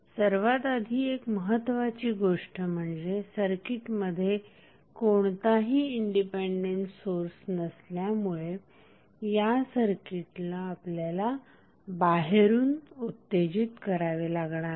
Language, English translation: Marathi, Now, first things what first thing which we have to consider is that since we do not have any independent source in the circuit we must excite the circuit externally what does it mean